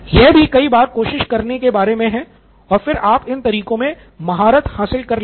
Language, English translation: Hindi, This is about trying at many many times and then you get a become you attain mastery with these methods